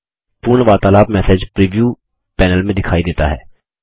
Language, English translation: Hindi, The entire conversation is visible in the message preview panel